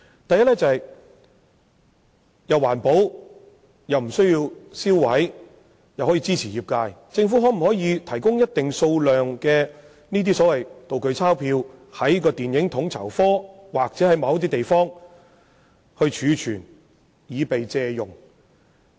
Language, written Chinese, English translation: Cantonese, 第一，是既環保又無須銷毀"道具鈔票"，並可支持業界的做法，就是由政府提供一定數量的"道具鈔票"，並由統籌科儲存在某些地點供業界借用。, The first proposal is environment - friendly and will save the need to destroy replica banknotes . It can also support the development of the industry . The Government can provide a fixed quantity of replica banknotes and then entrust FSO to keep stock of the replica banknotes for borrowing by the industry